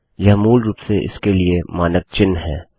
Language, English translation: Hindi, Thats basically the standard notation for it